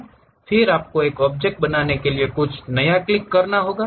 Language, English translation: Hindi, Then, you have to click something new to construct any object